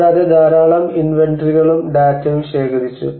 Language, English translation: Malayalam, And collected a lot of inventories and the data